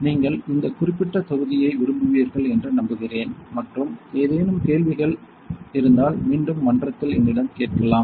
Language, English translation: Tamil, So, I hope that you like this particular module and any questions again you are free to ask me in the forum